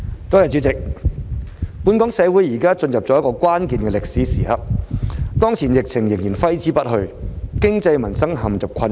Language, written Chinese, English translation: Cantonese, 代理主席，本港社會現正進入一個關鍵的歷史時刻，當前疫情仍然揮之不去，經濟民生陷入困境。, Deputy President the community of Hong Kong has now entered a critical moment in history with the epidemic still lingering and the economy and peoples livelihood in peril